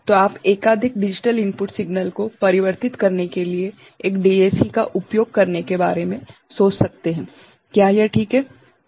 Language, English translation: Hindi, Then, you can think of using one DAC to convert multiple digital input signal, is it fine